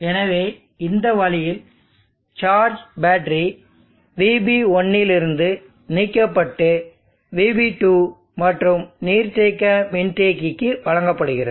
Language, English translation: Tamil, So in this way charge can be removed from battery vb1 and it can be given to vb2 and also to this reservoir capacitor